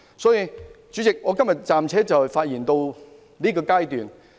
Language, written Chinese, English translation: Cantonese, 代理主席，我今天暫且發言至此。, Deputy President so much for my speech here today